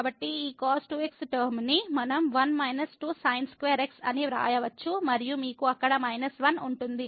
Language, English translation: Telugu, So, this term we can write down as 1 minus square and then you have minus 1 there